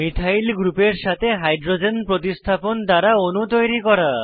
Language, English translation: Bengali, * Build molecules by substitution of Hydrogen with Methyl group